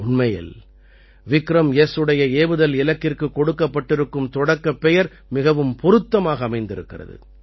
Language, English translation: Tamil, Surely, the name 'Prarambh' given to the launch mission of 'VikramS', suits it perfectly